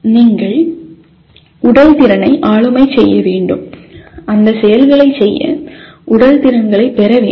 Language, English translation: Tamil, You have to master the physical skill, acquire the physical skills to perform those activities